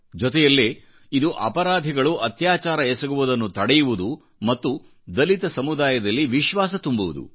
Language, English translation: Kannada, This will also forbid criminals from indulging in atrocities and will instill confidence among the dalit communities